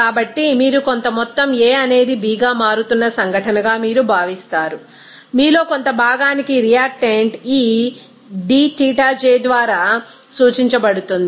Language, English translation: Telugu, So, you are considered event some amount of A is converting to B that some amount of you know reactant will be denoted by this dXij